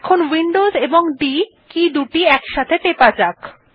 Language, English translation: Bengali, Let us now press Windows key and D